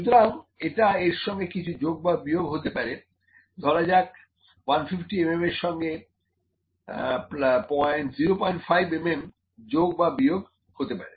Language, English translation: Bengali, So, it can be plus minus something it is let me say 150 mm plus or minus 0